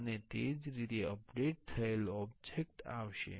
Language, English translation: Gujarati, And similarly, the updated object will come